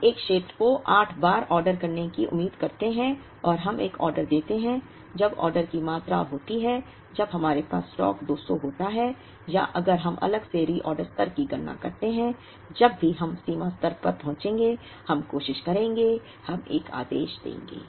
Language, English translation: Hindi, We expect to order 8 times an area and we place an order when, the order quantity is, when the stock that we have is 200, or if we compute the reorder level differently now, whenever we reach the reorder level, we will try, we will place an order